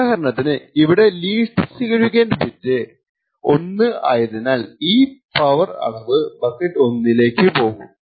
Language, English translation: Malayalam, So, for example over here the least significant bit is 1 and therefore he would move this power measurement into the bucket 1